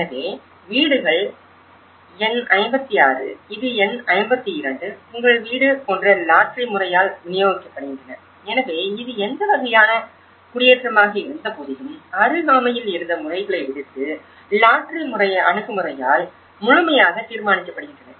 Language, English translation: Tamil, So that is one aspect, the second aspect is allocation process so, the houses are distributed by lottery method like number 56, this is your house, number 52 this is; so despite of what kind of settlement it was existed, what kind of neighbourhood fabric it was existed, it is all completely taken out due to the lottery approach